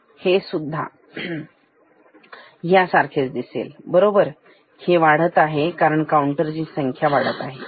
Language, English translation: Marathi, This will also look like this, right, this is also keep increasing because the counter value is increasing